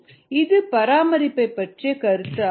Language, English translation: Tamil, this is the concept of maintenance